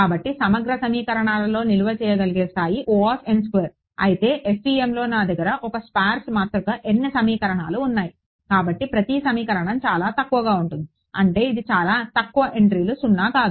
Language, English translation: Telugu, So, storage in integral equations was order n squared whereas, in FEM because I have a sparse matrix n equations each equation is sparse means very few entries are non zero